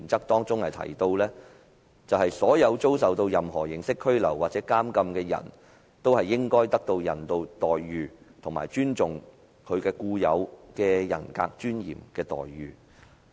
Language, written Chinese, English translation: Cantonese, 當中提到，所有遭受任何形式拘留或監禁的人都應受到人道待遇，以及尊重其天賦人格尊嚴的待遇。, The United Nations stated that All persons under any form of detention or imprisonment shall be treated in a humane manner and with respect for the inherent dignity of the human person